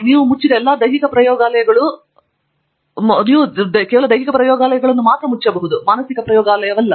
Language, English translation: Kannada, All the physical labs you may close, but not the mental lab that you have